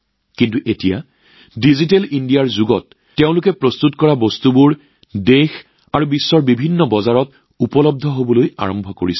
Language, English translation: Assamese, But now in this era of Digital India, the products made by them have started reaching different markets in the country and the world